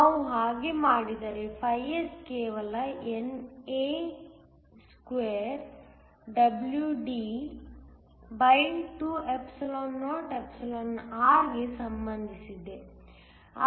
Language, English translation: Kannada, If we do that, S is just related to NAe2WD2or